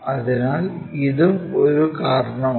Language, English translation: Malayalam, So, this is one of thereasons